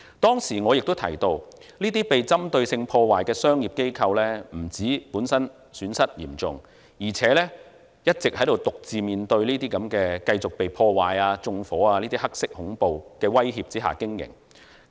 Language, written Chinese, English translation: Cantonese, 當時我亦提到，這些被針對性破壞的商業機構，不但損失嚴重，而且一直獨自面對被繼續破壞、縱火等"黑色恐怖"的威脅下經營。, Back then I also mentioned that those commercial undertakings targeted for vandalism had not just suffered serious losses but also been operating under black terror threats such as further damage and arson which they were left to face alone